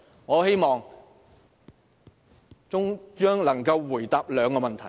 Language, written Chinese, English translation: Cantonese, 我希望中央能夠回答兩個問題。, I would like the Central Authorities to answer two questions